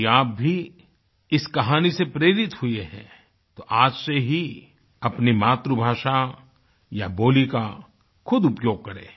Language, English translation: Hindi, If you too, have been inspired by this story, then start using your language or dialect from today